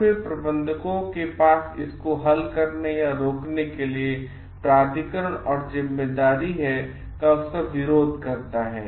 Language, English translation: Hindi, Then the managers have the authority and responsibility, either to result or prevent this conflicts